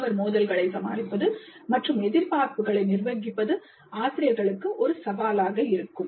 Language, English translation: Tamil, Managing student conflicts and expectations can be a challenge for the faculty